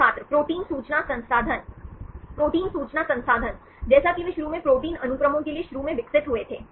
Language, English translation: Hindi, protein information resource Protein information resource, as they first initially developed for the protein sequences right